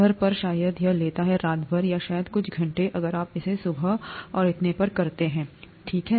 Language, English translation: Hindi, At home it takes probably overnight or maybe a few hours if you do it in the morning and so on, okay